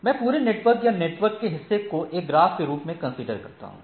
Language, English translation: Hindi, So, I can look the whole network or the in the portion of the network under consideration as a graph